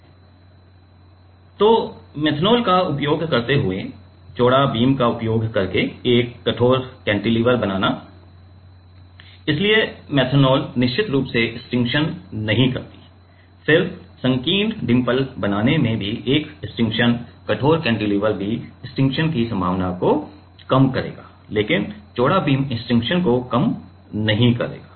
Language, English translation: Hindi, So, fabricating a stiff cantilever using wider beam, using methanol, so methanol definitely avoid stiction, then making narrow dimples also will have a stiction stiff cantilever will also reduce the possibility of stiction, but wider beam will not make a the stiction lesser